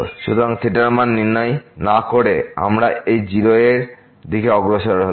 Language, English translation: Bengali, So, without fixing the value of the theta, we have approach to this 0